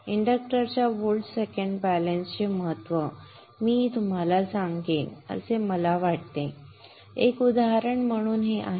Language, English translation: Marathi, So it is very, very important that there is volt second balance in an inductor